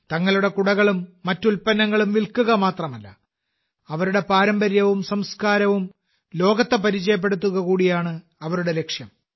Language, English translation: Malayalam, Their aim is not only to sell their umbrellas and other products, but they are also introducing their tradition, their culture to the world